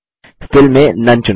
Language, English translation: Hindi, Under Fill and select None